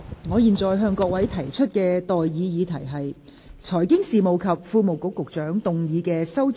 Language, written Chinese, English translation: Cantonese, 我現在向各位提出的待議議題是：財經事務及庫務局局長動議的修正案，予以通過。, I now propose the question to you and that is That the amendments moved by the Secretary for Financial Services and the Treasury be passed